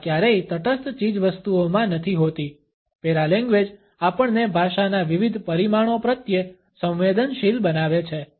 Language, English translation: Gujarati, Language is never in neutral commodity paralanguage sensitizes us to the various dimensions language can have